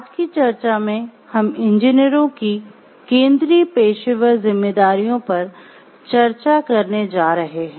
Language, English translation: Hindi, So, in today’s discussion we are going to discuss about the central professional responsibilities of engineers